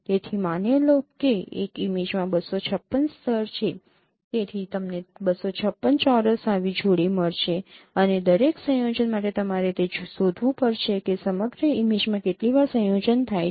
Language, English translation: Gujarati, So, suppose an image there are 256 levels, so you will get 256 square such pairs and for each combination you have to find out how many times that combination occurs throughout the image